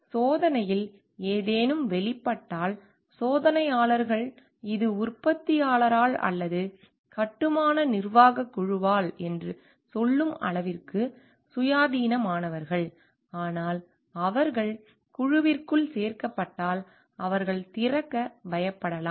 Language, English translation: Tamil, So if something comes out in the testing, the testers are like independent enough to tell like this is due to the manufacturer or this is due to the construction management team, but if they included within the team they may be fearful of opening up